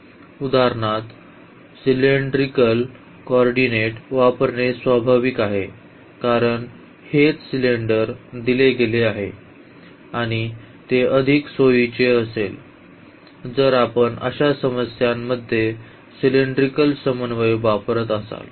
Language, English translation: Marathi, So, it is natural to use for instance the cylindrical co ordinates because, this is exactly the cylinder is given and it will be much more convenient, if we use cylindrical coordinate in such problems